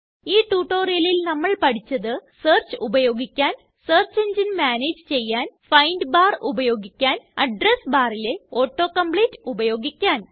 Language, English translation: Malayalam, In this tutorial we will learnt how to Use Search, Manage Search Engine,Use the find bar,use Auto compete in Address bar Try this comprehension test assignment